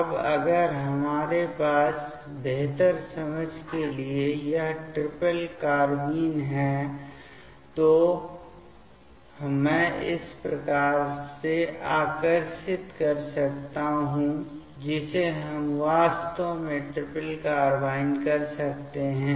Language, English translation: Hindi, Now, if we have this triplet carbene for better understanding I can draw in this way which we can actually this is the triplet carbene